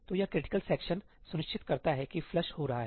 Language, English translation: Hindi, So, that critical section ensures that the flush is happening